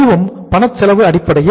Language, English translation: Tamil, That too on the cash cost basis